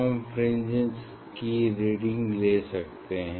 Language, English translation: Hindi, you can take reading of the fringe